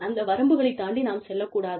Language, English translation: Tamil, We should not overstep, those boundaries